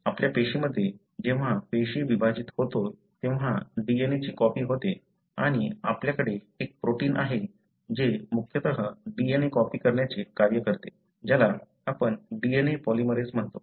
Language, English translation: Marathi, So, in our cell, whenever the cell divides, the DNA gets copied and you have a protein that mainly does the function of copying the DNA, which you call as DNA polymerase